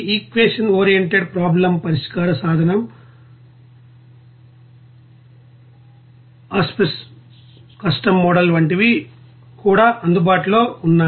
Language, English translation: Telugu, Equation oriented problem solution tool also available like Aspen, Custom Modeller there